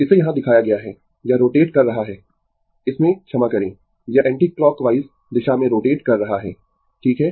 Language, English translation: Hindi, It is shown here, it is rotating in the this sorry, this is rotating in the anticlockwise direction, right